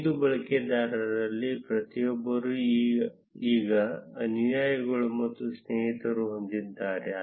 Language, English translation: Kannada, Each of the 5 users now have followers and friends count